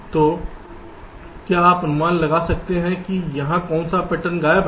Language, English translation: Hindi, so can you guess which pattern is missing here